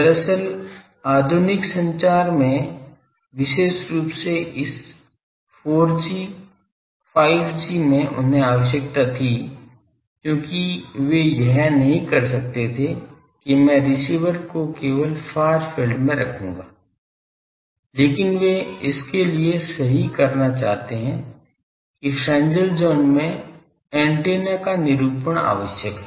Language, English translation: Hindi, Actually, in modern day communication particularly this 4G, 5G they required this because they cannot have that I will put the receiver only in the far field, but they want to correct for that the antennas characterization is necessary in the Fresnel zone